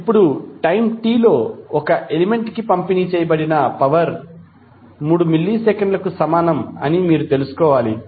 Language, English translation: Telugu, now, you need to find out the power delivered to an element at time t is equal to 3 milliseconds